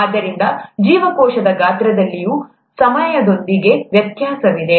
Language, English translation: Kannada, So there is variation with time in the cell size also